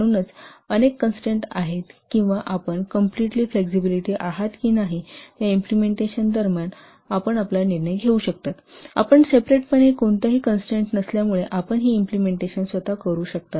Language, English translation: Marathi, So during the implementation of whether many constraints are there or you are completely flexible, you can take your decision, you can do this implementation yourself